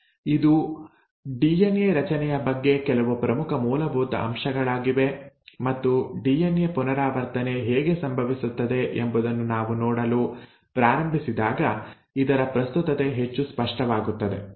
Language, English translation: Kannada, Now this is some of the important basics about DNA structure and the relevance of this will become more apparent when we start looking at exactly how DNA replication happens